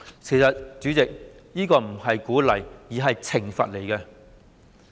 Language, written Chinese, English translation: Cantonese, 代理主席，其實這並非鼓勵，而是懲罰。, Deputy President in fact this is not encouragement but punishment